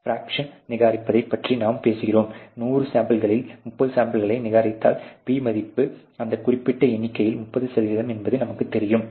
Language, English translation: Tamil, So, and we talk about the fraction reject, you know that is what really this term P means there out of 100 samples, if you rejected 30 samples our P values is 30 percent and that particular lot